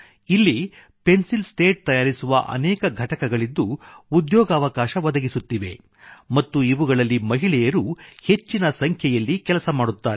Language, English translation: Kannada, Here, several manufacturing units of Pencil Slats are located, which provide employment, and, in these units, a large number of women are employed